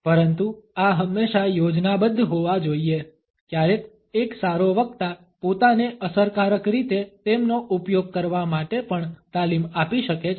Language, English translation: Gujarati, But these should always be plant sometimes a good speaker can also train oneself to use them effectively